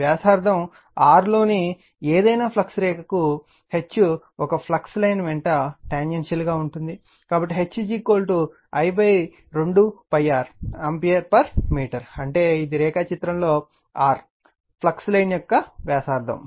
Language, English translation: Telugu, Since, H is tangential all along a flux line, for any flux line in radius r right, so H is equal to I upon 2 pi r ampere per meter that means, this is the radius of a flux line of r say here in the diagram